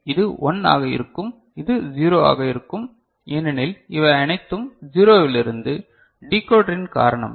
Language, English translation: Tamil, This will be 1 and this is 0 because all these are 0 from the because of the decoder